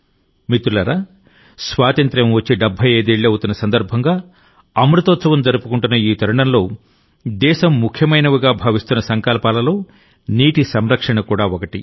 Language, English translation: Telugu, Friends, at this time in the 75th year of independence, in the Azadi Ka Amrit Mahotsav, water conservation is one of the resolves with which the country is moving forward